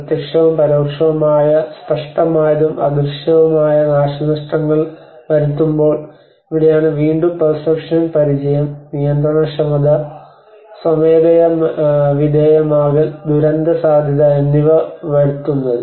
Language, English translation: Malayalam, Whereas the direct and indirect damages the tangible and as well as intangible damages so this is where again the perception brings about the familiarity, controllability, voluntariness of exposure, catastrophic potential